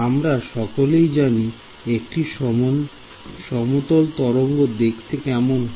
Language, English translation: Bengali, We already know what a plane wave looks like right